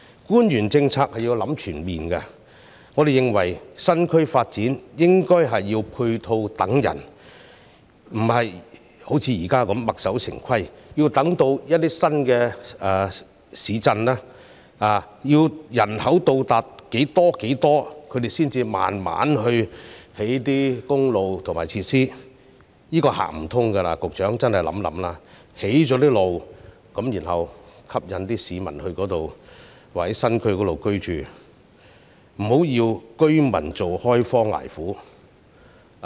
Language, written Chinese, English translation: Cantonese, 官員在制訂政策時須作全面考慮，我們認為發展新區時，應該是配套等人，而不是像現時般墨守成規，要新市鎮的人口達到某個數字才慢慢去興建公路和設施，這是行不通的，局長真的要想想，必須興建公路後再吸引市民到新區居住，不要讓居民開荒捱苦。, We believe that when new districts are being developed it should be the ancillary facilities waiting for the newcomers instead of sticking to the existing rules that roads and facilities will be built until the population of a new town reaches a certain number . It does not work that way . The Secretary really needs to think about it